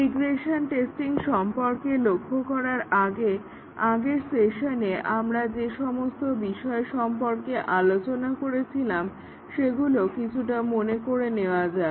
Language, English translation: Bengali, Before we start looking at regression testing, let us recall it little bit, about what we were discussing in the last session